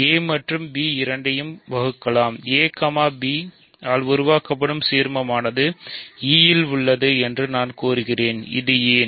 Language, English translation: Tamil, So, let e divide both a and b; that means, then I claim that a, b the ideal is contained in e, why is this